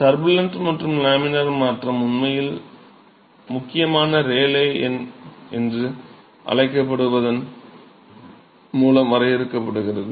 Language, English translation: Tamil, So, the turbulent and laminar transition is actually defined by what is called the critical Rayleigh number